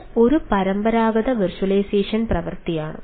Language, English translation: Malayalam, there is some difference with this traditional virtualization